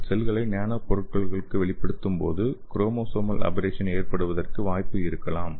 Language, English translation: Tamil, So you can see here when you expose the cells to this nano materials what happens is like a there may be chances for chromosomal aberrations